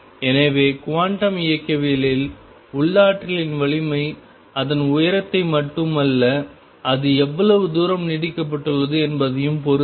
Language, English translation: Tamil, So, in quantum mechanics the strength of the potential depends not only is on its height, but also how far it is extended